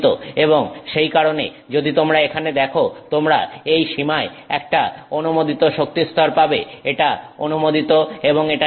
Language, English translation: Bengali, And that is why if you see here you get an allowed energy level in this range, this is allowed and this is forbidden